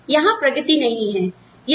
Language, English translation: Hindi, But, the progression up, is not there